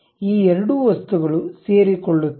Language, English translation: Kannada, These two things are coincident